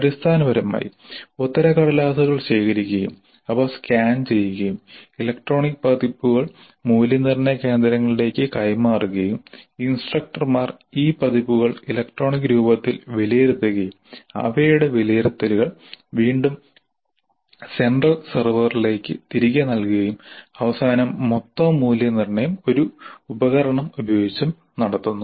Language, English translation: Malayalam, Basically the answer sheets, physical answer sheets are collected, they are scanned and the electronic versions are transmitted to the evaluation centers and the instructors evaluate these scripts in the electronic form and their evaluations are again fed back to the central servers and the total evaluation is done by a tool